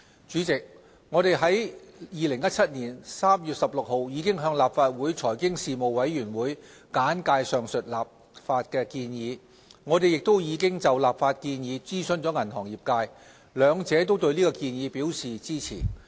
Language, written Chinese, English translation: Cantonese, 主席，我們已在2017年3月16日向立法會財經事務委員會簡介上述立法建議。我們亦已就立法建議諮詢了銀行業界。兩者均對建議表示支持。, President we briefed the Panel on Financial Affairs of the Legislative Council on 16 March 2017 and consulted the banking industry on the proposed legislation to which both the Panel and the industry have expressed support